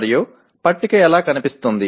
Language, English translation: Telugu, And how does the table look